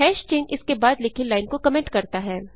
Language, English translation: Hindi, # sign comments a line written after it